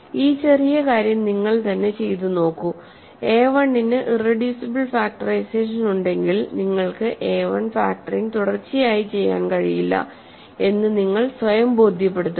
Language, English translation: Malayalam, So, this little thing I will leave as an exercise for you, to convince yourself that if a1 has an irreducible factorization you cannot possibly keep forever factoring a1